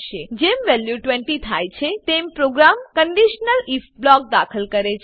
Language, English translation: Gujarati, Once the value becomes 20, the program enters the conditional if block